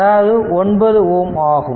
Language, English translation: Tamil, So, 10 ohm is out now